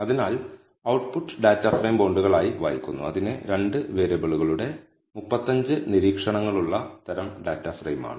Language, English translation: Malayalam, So, the output reads as data frame bonds is of the type data frame it has 35 observations of 2 variables